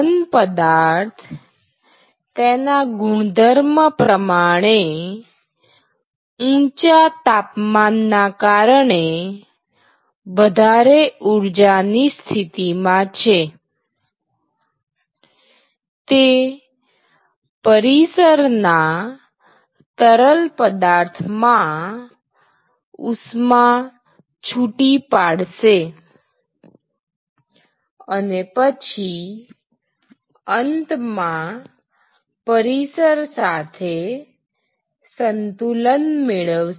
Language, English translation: Gujarati, So, the solid because it is at a higher energy state, it is at a higher temperature it will lose heat to the surrounding fluid, and then it will attempt to equilibrate itself with the surroundings right